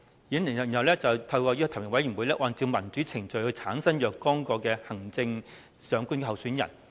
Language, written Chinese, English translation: Cantonese, "然後是"提名委員會須按照民主程序提名產生若干名行政長官候選人"。, and then the nominating committee shall in accordance with democratic procedures nominate a certain number of candidates for the office of the Chief Executive